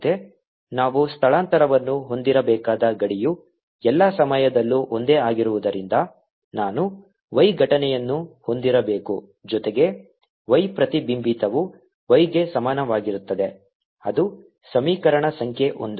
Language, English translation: Kannada, since that the boundary we should have, the displacement is same all the time, i should have y incident plus y reflected is equal to y transmitted